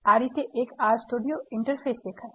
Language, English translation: Gujarati, This is how an R Studio Interface looks